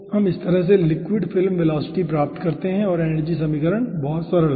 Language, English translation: Hindi, okay, so we get the liquid film velocity in this fashion and ah energy equation is very simple